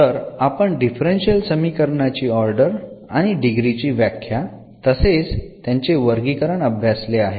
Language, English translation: Marathi, So, we have defined the order and also the degree of the differential equation and also some classification we have done